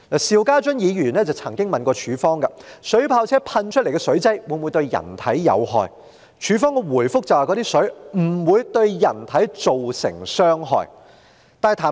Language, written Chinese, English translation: Cantonese, 邵家臻議員曾經詢問水炮車噴射出來的水劑會否對人體有害，警方的回覆是水劑不會對人體造成傷害。, Mr SHIU Ka - chun had asked a question about whether the solution sprayed out by water cannon vehicles would be harmful to humans and the Police replied that the solution would not cause harm to humans